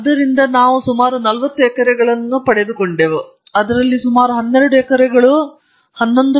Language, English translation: Kannada, So, they had 40 acres in out of which we got about nearly 12 acres, 11